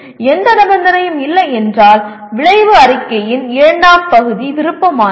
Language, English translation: Tamil, If there is no condition, the second part of the outcome statement is optional